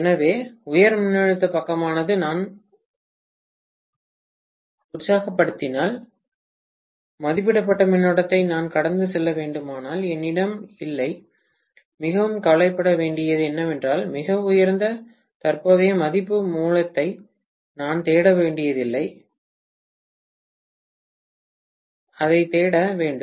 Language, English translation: Tamil, So, high voltage side if I energise and if I have to pass rated current, then I don’t have to worry so much because I do not have to look for very high current value source, I do not have to look for that